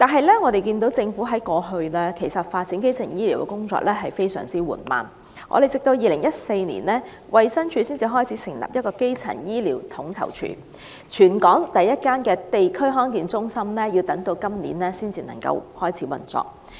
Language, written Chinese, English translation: Cantonese, 然而，政府過去發展基層醫療的工作一直非常緩慢，直至2014年，衞生署才成立基層醫療統籌處，全港首間地區康健中心在今年才能夠開始運作。, Yet the Government has been very slow in developing primary healthcare services and it was not until 2014 that the Primary Care Office was established by the Department of Health while the first District Health Centre in the territory will commence operation only this year